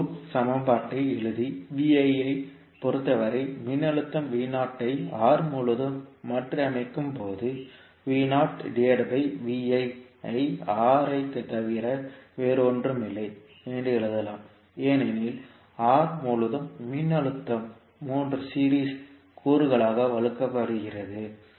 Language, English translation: Tamil, So when we write the the loop equation and rearrange the voltage V naught is across R as in terms of Vi, we can write V naught by Vi is nothing but R because voltage across R divided by all 3 series components